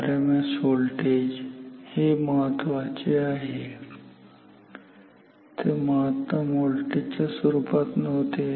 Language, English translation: Marathi, RMS voltage, very important; this is not in terms of peak voltage